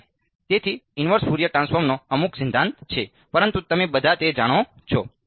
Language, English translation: Gujarati, And so, there is some theory of a inverse Fourier transform, but you all know that